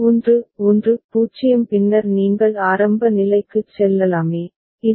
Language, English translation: Tamil, And 1 1 0 then you can go back to the initial state a